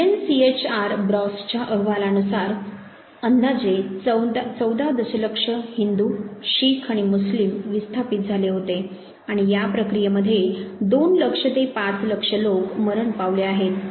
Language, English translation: Marathi, According to the UNCHR report bras has estimated approximately 14 million Hindus, Sikhs and Muslims were displaced and somewhere between 2 lakhs to 5 lakhs people were killed in this process